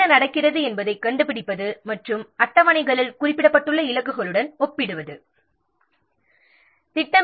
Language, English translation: Tamil, Finding out what is happening and comparing with what the targets are mentioned in the schedules